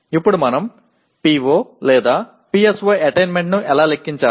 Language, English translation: Telugu, Now how do we compute the PO/PSO attainment